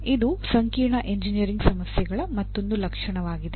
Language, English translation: Kannada, So that is another feature of complex engineering problems